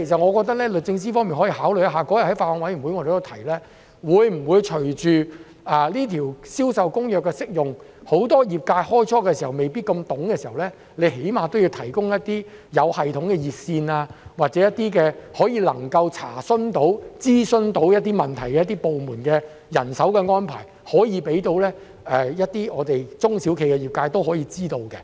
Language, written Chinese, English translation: Cantonese, 我覺得律政司方面可以特別考慮一下——當天我們在法案委員會會議上也提到——隨着《銷售公約》的實施，在很多業界一開始對《銷售公約》未必太熟悉時，政府會否最少提供一些有系統的熱線服務，或讓中小企及業界知道相關部門會作出人手安排，以供他們查詢及進行諮詢。, I think the Department of Justice may especially consider―we also mentioned at the meeting of the Bills Committee―that after the implementation of CISG while many members of the industry are not quite familiar with it at the beginning would the Government at least provide systematic hotline service or tell SMEs and the industry that manpower will be arranged by concerned departments so that they can make enquires or seek consultations